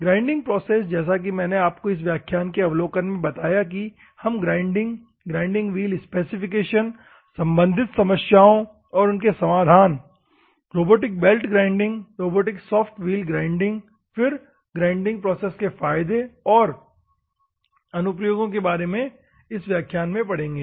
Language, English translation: Hindi, In the grinding process just we will see as I said in the overview of this particular class we will study the about the introduction to grinding, grinding wheel specification, problems, solutions and robotic belt grinding, robotic soft wheel grinding, then advantages and applications of the grinding process we will see in this particular class, ok